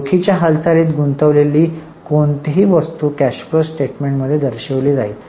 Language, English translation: Marathi, Any item where cash movement is involved will be shown in the cash flow